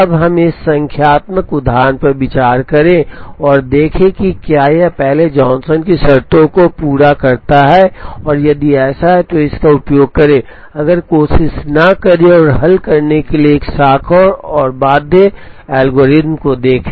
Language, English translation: Hindi, Now, let us consider this numerical example and try and see, whether first it satisfies the Johnson’s conditions and if so use it, if not try and look at a Branch and Bound algorithm to solve